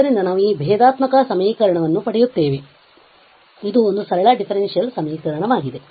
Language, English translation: Kannada, So, we will get this differential equation a simple differential equation